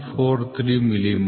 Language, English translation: Kannada, 143 millimeter, ok